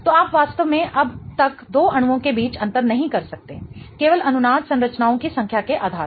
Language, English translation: Hindi, So, you really cannot till now differentiate between the two molecules just based on number of resonance structures